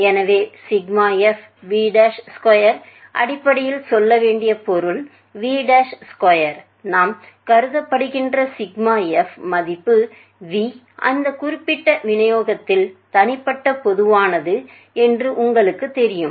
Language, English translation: Tamil, So, sigma f v dash square is basically meaning to say, you know which is the sigma f value v that being uniquely common in particular distribution that we are considered